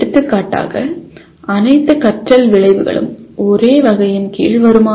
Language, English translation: Tamil, For example will all learning outcomes come under the same category